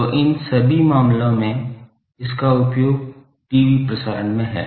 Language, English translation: Hindi, So, in all these cases the application is TV transmission